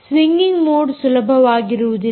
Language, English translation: Kannada, swinging mode is not going to be easy at all